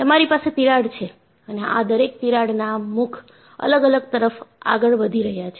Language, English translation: Gujarati, You have a crack and the crack faces are moving different in each of this